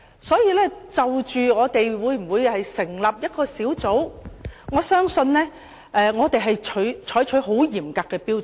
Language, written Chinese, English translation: Cantonese, 所以，就立法會會否成立調查委員會，我相信我們應採取很嚴格的標準。, Therefore I believe we ought to adopt very stringent standards to determine whether or not the Legislative Council should set up an investigation committee